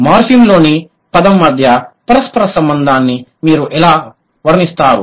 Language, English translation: Telugu, How would you draw the correlation between a word and a morphem